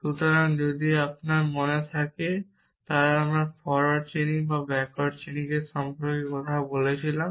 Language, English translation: Bengali, So, if you remember when we talked about forward chaining or backward chaining